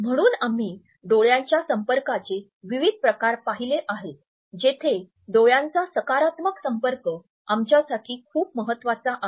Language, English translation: Marathi, So, we have looked at different types of eye contacts where as a positive eye contact is very important for us